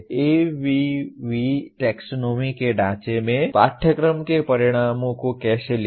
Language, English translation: Hindi, How to write course outcomes for a course in the framework of ABV taxonomy